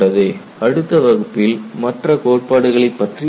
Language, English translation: Tamil, We look at the other theory in the next class